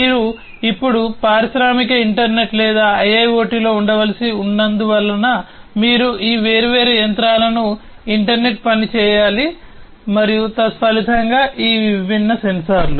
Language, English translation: Telugu, Because you have to now in the industrial internet or IIoT you have to internet work all these different machines and consequently these different sensors